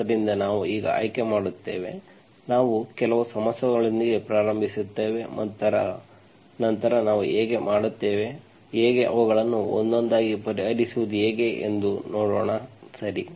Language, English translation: Kannada, So we will now choose, we will start with certain set of problems and then we will see how we will, how to, how to solve them one by one, okay